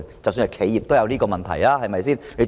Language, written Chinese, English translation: Cantonese, 即使企業也有這個問題，對嗎？, Even enterprises have this problem right?